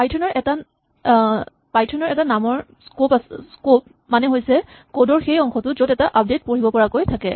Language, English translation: Assamese, The scope of a name in Python is the portion of the code where it is available to read an update